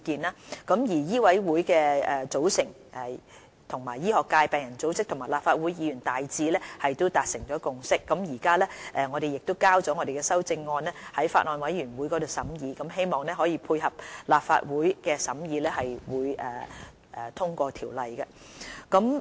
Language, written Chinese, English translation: Cantonese, 就香港醫務委員會的組成，醫學界、病人組織及立法會議員大致達成共識，我們亦已提交修正案予法案委員會審議，希望配合立法會的審議及通過條例草案。, The medical sector patient groups and Members of the Legislative Council have generally reached a consensus on the composition of the Medical Council of Hong Kong MCHK . We have already submitted our amendment proposal to the relevant Bills Committee for scrutiny in the hope of supporting the scrutiny work of the Legislative Council and securing passage of the Bill